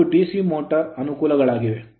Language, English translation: Kannada, These are the advantages for DC motor